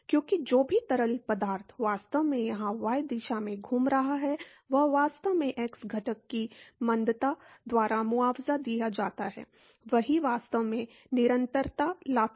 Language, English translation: Hindi, Because, whatever fluid that is actually moving in the y direction here, that is actually compensated by the retardation of the x component velocity, that is what actually brings the continuity